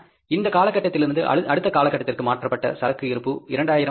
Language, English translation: Tamil, From this period to next period, the stock transferred is 2,000 units